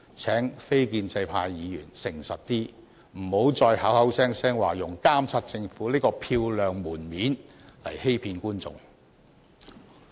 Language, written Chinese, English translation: Cantonese, 請非建制派議員誠實一點，不要再口口聲聲用"監察政府"這個漂亮藉口來欺騙公眾。, I implore non - establishment Members to be more honest and stop trotting out the high - sounding excuse of monitoring the Government to deceive the public